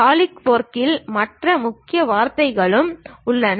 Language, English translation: Tamil, There are other keywords also involved in Solidworks